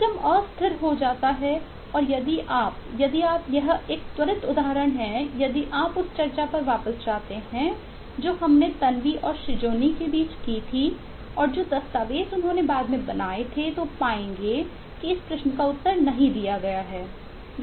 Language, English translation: Hindi, the system becomes inconsistent and if you eh, if you eh this is a quick example of if you go back to discussion we had between tanwi and srijoni and the document that they subsequently produced, will find that this question is not answered